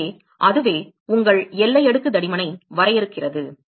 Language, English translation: Tamil, So, that is what defines your boundary layer thickness